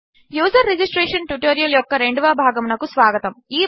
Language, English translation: Telugu, Welcome to the second part of the User registration tutorial